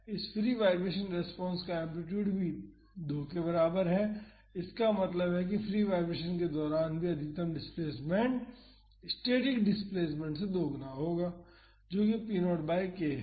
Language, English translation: Hindi, The amplitude of this free vibration response is also equal to 2; that means, even during the free vibration the maximum displacement will be twice that of the static displacement, that is p naught by k